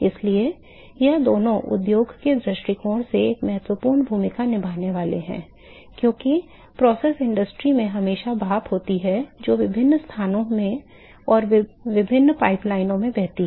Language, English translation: Hindi, So, these two they play an important role from industry point of view because there is always steam which is flowing in different locations and in different pipelines in a process industry and